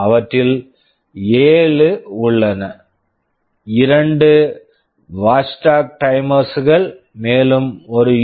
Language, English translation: Tamil, There are 7 of them, two of them are watchdog timers, and I mentioned there is a USB 2